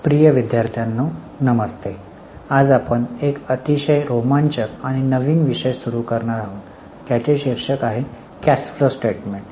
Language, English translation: Marathi, Dear students, Namaste, today we are going to start one very exciting and new topic that is titled as Cash Flow Statement